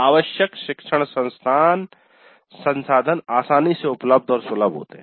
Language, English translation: Hindi, So the required learning resources were easily available and accessible